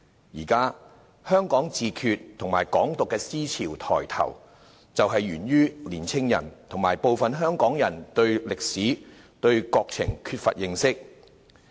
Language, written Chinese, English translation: Cantonese, 現時，香港自決和"港獨"等思潮抬頭，就是源於青年人和部分香港人對歷史、國情缺乏認識。, At present the increasing prevalence of the ideas of Hong Kong self - determination and Hong Kong independence originate from the lack of understanding of the history and situation of our country among young people and some Hong Kong people